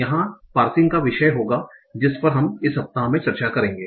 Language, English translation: Hindi, This will be the topic of parsing that we will discuss in this week